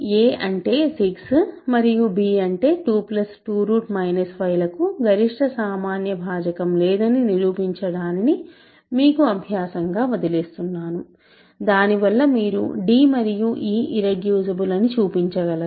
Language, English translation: Telugu, So, you now; I will leave this as an exercise show that a which is 6 and b which is 2 plus have no greatest common divisor, that is because you can show that d and e are irreducible